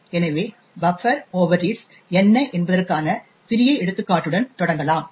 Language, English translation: Tamil, So, let start with a small example of what buffer overreads is